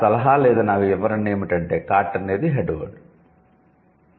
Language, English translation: Telugu, My suggestion would be or my interpretation would be cart is the head word